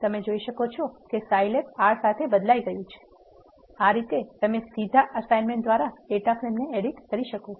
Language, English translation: Gujarati, You can see that the Scilab has been replaced with the R, this is how you can edit the data frame by direct assignment